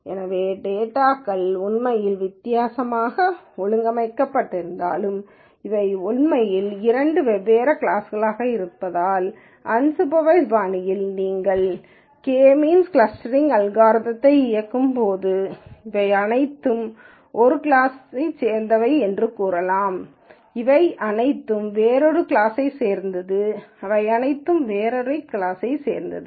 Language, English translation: Tamil, So, though underneath the data is actually organized differently and if these happen to be two different classes in reality, in an unsupervised fashion when you run the K means clustering algorithm, you might say all of this belongs to one class, all of this belongs to another class, and all of this belongs to another class and so on so